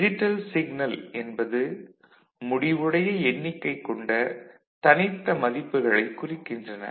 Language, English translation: Tamil, So, digital signals represent only finite number of discrete values